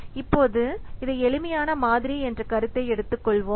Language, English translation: Tamil, Now, let's take this the concept of simplistic model